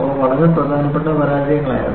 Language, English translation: Malayalam, They were very very important failures